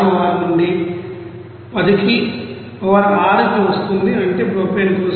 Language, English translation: Telugu, 66 into 10 to the power 6 that means for propane